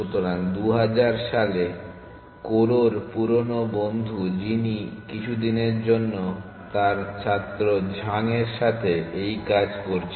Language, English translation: Bengali, So, in 2000 or so Koror old friend who is been working on this for a while and his student Zhang